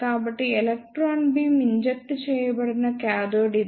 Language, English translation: Telugu, So, this is the cathode from where the electron beam is injected